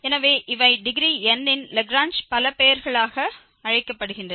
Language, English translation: Tamil, So, these are called the Lagrange polynomials of degree n